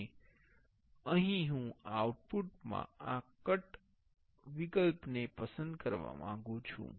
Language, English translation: Gujarati, And here I want to select this cut in the output